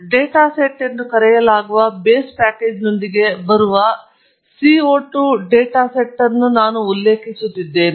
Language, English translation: Kannada, I am referring to the CO 2 data set that comes with the base package called data sets